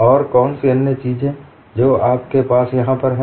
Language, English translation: Hindi, And what other things that you have here